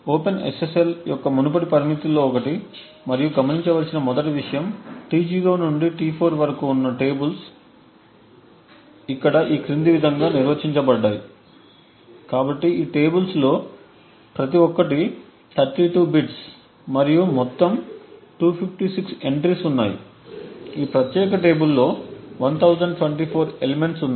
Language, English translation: Telugu, So this AES code is built on the lines of open SSL, one of the earlier limitations of the open SSL and the 1st thing to note is the tables T0 to T4 so they are defined here as follows, so each of these tables is of 32 bits and there are 256 entries in total, there are 1024 elements in this particular table